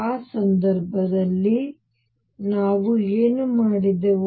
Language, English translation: Kannada, What did we do in that case